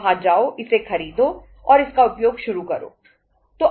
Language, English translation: Hindi, Go there buy it and start using it